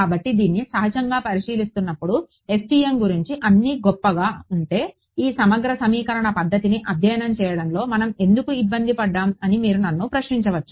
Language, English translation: Telugu, So, I mean looking at this naturally you should ask a question if everything is so, great about FEM, why did we bother studying this integral equation method at all